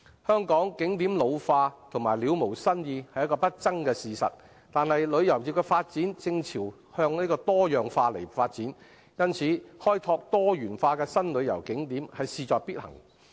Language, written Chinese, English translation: Cantonese, 香港景點老化及了無新意是不爭的事實，但旅遊業的發展正朝向多樣化，開拓多元化的新旅遊景點因而事在必行。, It is an indisputable fact that tourist attractions in Hong Kong are ageing and lacking in novelty . However as the tourism industry is developing in the direction of diversification it is thus imperative to develop diversified new tourist attractions